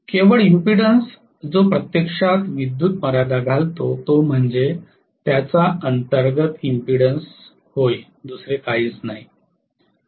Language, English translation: Marathi, Only impudence, which is actually limiting the current is its internal impedance, nothing else